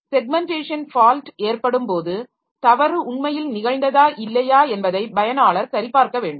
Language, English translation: Tamil, So, that is a segmentation fault and when this segmentation fault occurs, the user needs to check whether the fault has really occurred or not